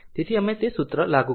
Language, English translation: Gujarati, So, we will apply that formula